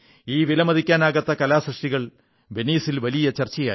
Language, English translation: Malayalam, This invaluable artwork was a high point of discourse at Venice